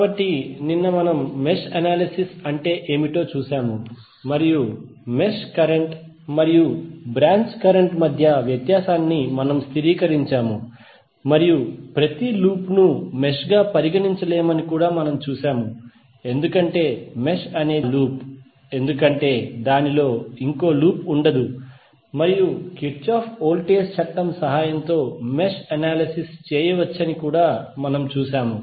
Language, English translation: Telugu, So, yesterday we saw the what is mesh analysis and we stabilized the difference between the mesh current and the branch current and we also saw that the every loop cannot be considered as mesh because mesh is that loop which does not contain any other loop within it and we also saw that the mesh analysis can be done with the help of Kirchhoff Voltage Law